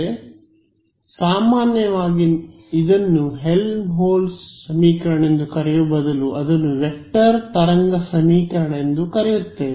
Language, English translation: Kannada, So, more generally we will instead of calling it Helmholtz equation we just call it a vector wave equation right